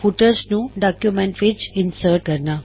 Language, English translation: Punjabi, How to insert footers in documents